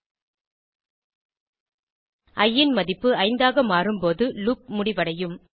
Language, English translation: Tamil, And the loop will exit once the value of i becomes 5